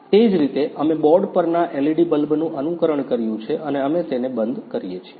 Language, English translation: Gujarati, Similarly we have simulated LED bulb that is on the board and we turn it off ok